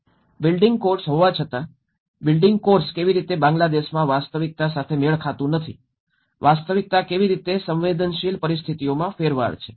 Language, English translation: Gujarati, And how the building course doesnít match with the reality in Bangladesh despite of having the building codes, how the reality turns into a vulnerable situations